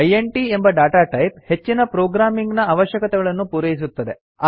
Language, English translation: Kannada, The Data type int is enough for most of our programming needs